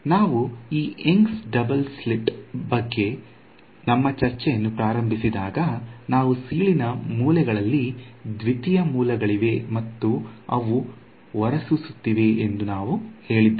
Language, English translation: Kannada, So, in the very beginning when we started our discussion of this young’s double slit in our we said that there are the secondary sources at the corners of the slit and they are emitting